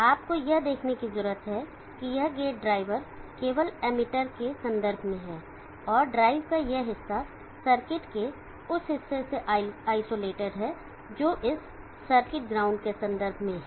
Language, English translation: Hindi, You need to see that this gate drive is reference with respect to the emitter only and this portion of the drive is isolated from the portion of the circuit which is reference with respect to this circuit graft